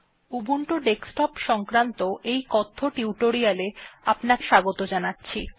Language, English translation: Bengali, Welcome to this spoken tutorial on Ubuntu Desktop